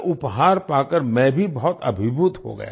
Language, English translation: Hindi, I was also overwhelmed on receiving this gift